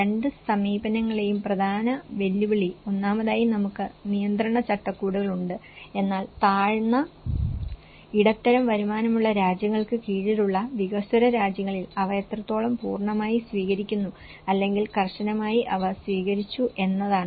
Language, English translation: Malayalam, The important challenge in both the approaches is, first of all, we do have the regulatory frameworks but in the developing countries under low and middle income countries to what extend they are adopted in a full scale or strictly they have been adopted